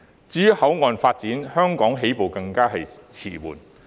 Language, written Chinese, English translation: Cantonese, 至於口岸發展，香港起步更為遲緩。, Hong Kong is a late starter in port development